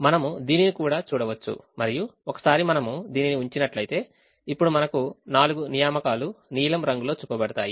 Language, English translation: Telugu, we can also see this, and once we put this now we will have four assignments that are shown in in blue color